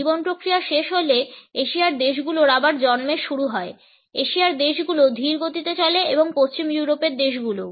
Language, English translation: Bengali, When the process of life ends the Asian countries will start at birth again, the Asian countries are slower paced and the western European countries